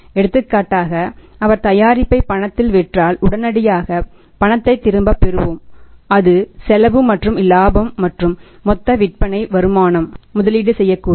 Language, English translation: Tamil, For example if he sell the product on cash we get the cash back immediately that is a cost plus profit and that that total sales proceeds are investable